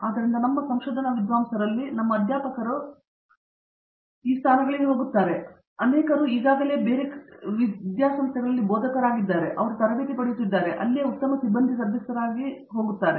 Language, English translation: Kannada, So a fraction of our faculty of our research scholars do go into these positions, many of them are candidates they already faculty they come gain the training here and go back to become better faculty members where ever they are